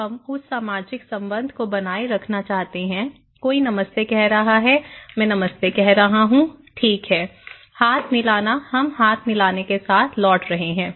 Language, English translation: Hindi, Now, we want to maintain that social relationship, somebody is saying Namaste, I am saying Namaste, okay, handshake; we are returning with handshake